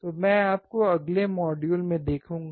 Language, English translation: Hindi, So, I will see you in the next module, take care